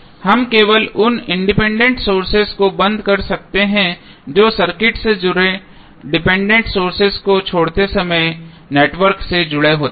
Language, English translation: Hindi, We can only turn off the independent sources which are connected to the network while leaving dependent sources connected to the circuit